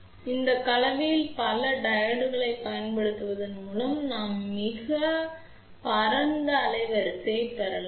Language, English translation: Tamil, And, by using multiple diodes in series shunt combination, we can obtain very wide bandwidth